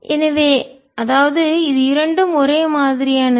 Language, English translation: Tamil, so this is same as the previous